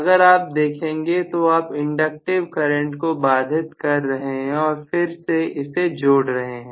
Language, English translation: Hindi, So, you are looking at an inductive current being interrupted and again reconnected